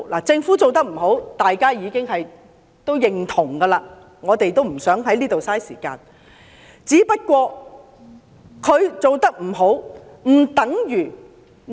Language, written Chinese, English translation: Cantonese, 政府做得不好，是大家也已認同的，我們不想再浪費時間談論這些。, It is common consensus that the Government is not doing well . We do not want to waste any more time on such views